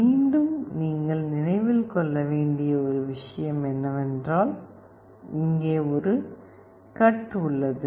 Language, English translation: Tamil, Again one thing you have to remember is that there is a cut here